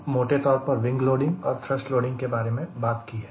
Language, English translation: Hindi, we have very loosely talked about wing loading